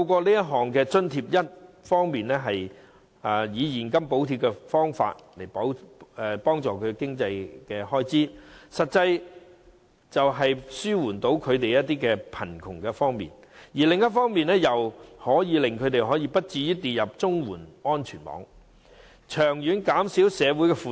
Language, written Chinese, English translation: Cantonese, 這項津貼一方面以現金補貼他們的經濟開支，實際地紓緩他們面對的貧窮，而另一方面，則避免他們跌入綜援安全網，長遠可減少社會負擔。, This allowance will on the one hand provide a cash subsidy for them to meet their expenses alleviating the plight they face in poverty and prevent them from falling into the safety net of CSSA on the other thereby reducing the burden of society